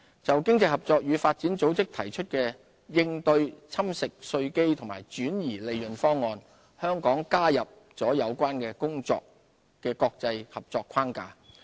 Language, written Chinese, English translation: Cantonese, 就經濟合作與發展組織提出的應對"侵蝕稅基及轉移利潤"方案，香港加入了有關工作的國際合作框架。, Regarding the package of measures put forward by the Organisation for Economic Co - operation and Development to tackle base erosion and profit shifting BEPS Hong Kong has joined the inclusive framework set up by the international community for implementing the BEPS package